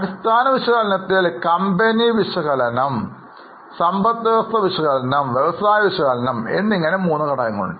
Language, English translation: Malayalam, In fundamental analysis there are three components, company analysis, economy analysis and industry analysis